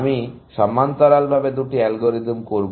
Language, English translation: Bengali, I will just do the two algorithms in parallel